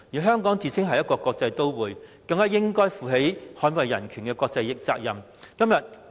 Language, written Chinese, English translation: Cantonese, 香港自稱是一個國際都會，應負起捍衞人權的國際責任。, Hong Kong claims to be a cosmopolitan city . We should assume the international responsibility of defending human rights